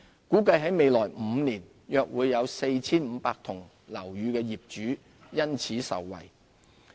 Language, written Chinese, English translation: Cantonese, 估計在未來5年約 4,500 幢樓宇的業主因此受惠。, It is estimated that owners of about 4 500 buildings will benefit from this initiative in the next five years